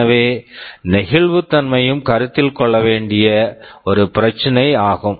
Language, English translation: Tamil, So, flexibility is also an issue that needs to be considered